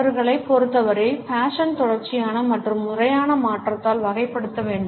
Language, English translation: Tamil, According to them fashion has to be characterized by continual and systematic change